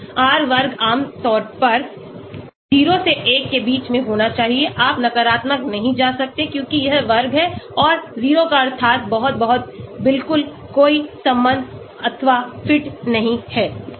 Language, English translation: Hindi, R square generally should lie between 0 to 1, you cannot go to negative because this is square and 0 means very, very absolutely no relationship or fit